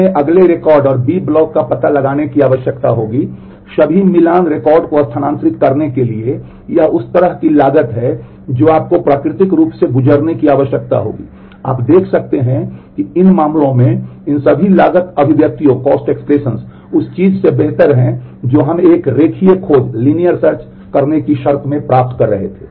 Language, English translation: Hindi, We will need to locate the next record and the b blocks for transferring all the matching records this is the kind of cost that will need to go through natural you can see that in these cases all these cost expressions are better than what we were getting in terms of doing a linear search